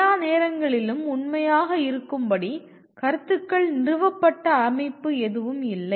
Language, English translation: Tamil, There is no established system of ideas which will be true for all times